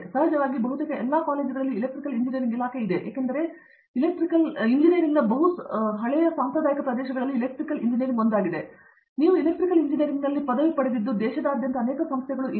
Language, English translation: Kannada, Of course, there is an Electrical Engineering Departments in almost every colleges because it is one of the you know, traditional areas of engineering you have bachelor’s degrees in Electrical Engineering being awarded, many institutions around the country